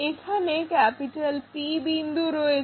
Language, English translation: Bengali, Let us begin with a point P